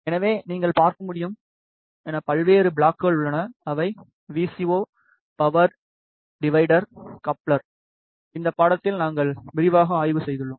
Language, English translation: Tamil, So, as you can see there are various blocks which are VCO power divider, coupler, which we have studied in this course in detail